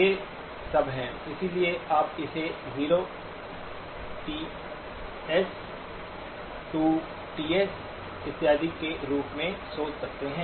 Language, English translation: Hindi, These are all; so you can think of it as 0, TS, 2TS and so on, minus TS